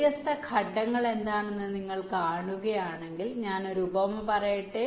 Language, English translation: Malayalam, if you see what are the different steps, let me just carry an analogy